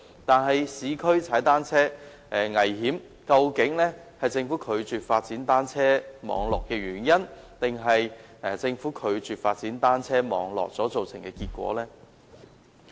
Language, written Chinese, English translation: Cantonese, 在市區踏單車危險，這究竟是政府拒絕發展單車網絡的原因，還是政府拒絕發展單車網絡造成的結果呢？, It is dangerous to ride a bicycle in the urban areas but is this the reason for the Governments refusal to develop cycle track networks or the result of the Governments refusal to develop cycle track networks?